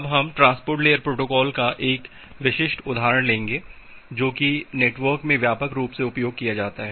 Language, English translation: Hindi, Now we will take a specific example a transport layer protocol which is widely used in the networks